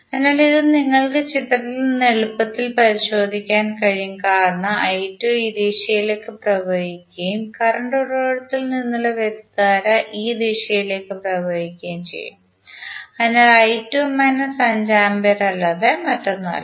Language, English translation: Malayalam, So, this you can easily verify from the figure because I 2 will flow in this direction and the current will from the current source will flow in this direction, so i 2 would be nothing but minus of 5 ampere